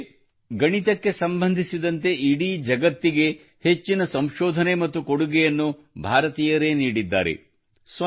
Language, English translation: Kannada, After all, the people of India have given the most research and contribution to the whole world regarding mathematics